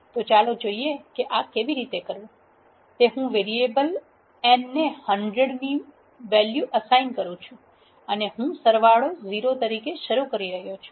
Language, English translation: Gujarati, So, let us see how to do this I am assigning a variable value of 100 to the variable n and I am initializing the sum as 0